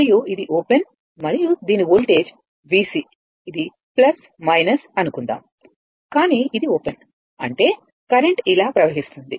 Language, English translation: Telugu, And this is open and voltage across this is V C say plus minus, but this is open; that means, current will flow through like this